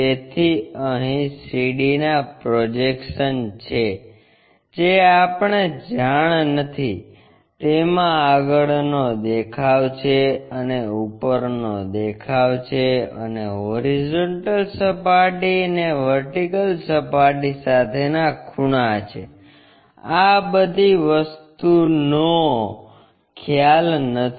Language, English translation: Gujarati, So, here unknowns are projections of CD that is our front view and top view and angles with horizontal plane and vertical plane, these are the things which are unknown